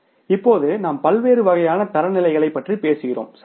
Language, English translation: Tamil, Now we talk about the different types of the standards, right